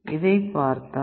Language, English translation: Tamil, Then you look at this, it will be Vref